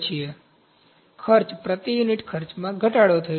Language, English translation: Gujarati, So, the cost, per unit cost is reduced